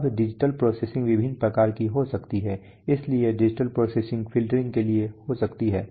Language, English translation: Hindi, Now digital processing could be of various type, digital processing for what, so digital processing could be for signal processing let us say filtering